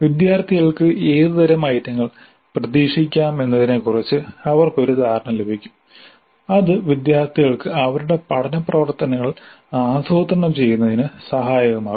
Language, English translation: Malayalam, They would get an idea as to what kind of items the students can expect and that would be helpful for the students in planning their learning activities